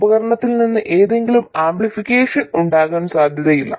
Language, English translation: Malayalam, There can't possibly be any amplification from the device